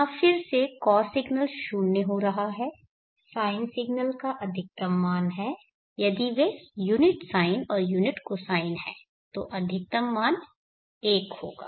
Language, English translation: Hindi, Here again because signal is having 0 sine signal is having a maximum value if they are unit sine and unit cosine